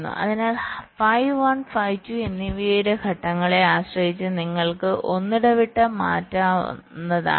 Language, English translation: Malayalam, so, depending on the phases of phi one and phi two, you can alternate